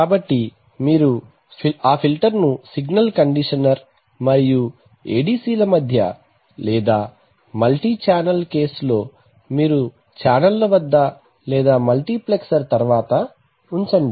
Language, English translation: Telugu, So you put that filter typically between the signal conditioner and the ADC or in a multi channel case you put it either at the channels or you put it after the multiplexer